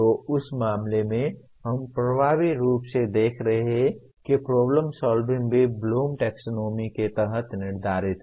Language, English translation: Hindi, So in that case we are also effectively looking at that is problem solving is also subsumed under Bloom’s taxonomy